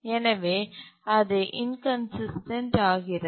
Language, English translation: Tamil, So it becomes inconsistent